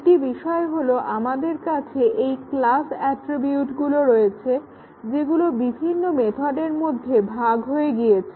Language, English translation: Bengali, One thing is that we have this class attributes which are shared between various methods